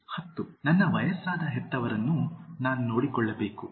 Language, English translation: Kannada, 10) I have to care for my aged parents